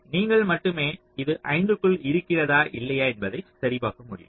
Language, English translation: Tamil, then only you can check whether it is within five or not right